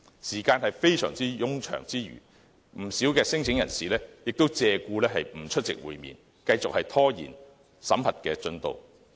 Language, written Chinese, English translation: Cantonese, 時間非常冗長之餘，不少聲請申請人亦借故不出席會面，繼續拖延審核進度。, The time is very long but the screening progress has been further delayed by claimants who deliberately refused to show up at the meeting with different excuses